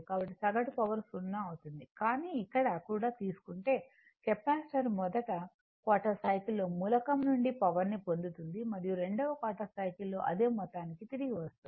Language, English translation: Telugu, So, average power will be 0, but if you take the here also, the capacitor receives energy from the source during the first quarter of the cycle and returns to the same amount during the second quarter of cycle